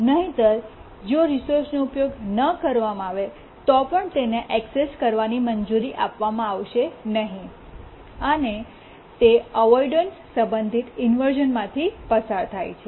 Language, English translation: Gujarati, Otherwise even if the resource is unused still it will not be allowed access to the resource and we say that it undergoes avoidance related inversion